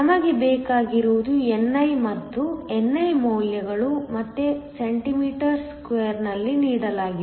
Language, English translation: Kannada, What we do need is the values of ni and ni is again given cm 3